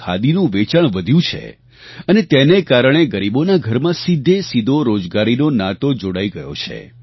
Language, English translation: Gujarati, Sale of Khadi has increased and as a result of this, the poor man's household has directly got connected to employment